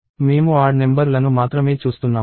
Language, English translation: Telugu, I am looking only at odd numbers